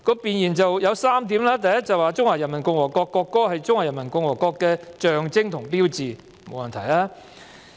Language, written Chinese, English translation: Cantonese, 弁言有3點 ，"1 中華人民共和國國歌是中華人民共和國的象徵和標誌"，這沒有問題。, 1 The national anthem of the Peoples Republic of China is a symbol and sign of the Peoples Republic of China which is fine